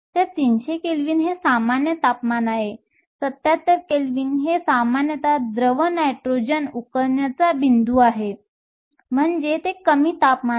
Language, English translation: Marathi, So, 300 Kelvin is room temperature 77 Kelvin is typically your liquid nitrogen boiling point, so that is a low temperature